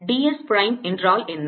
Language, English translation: Tamil, what is d s prime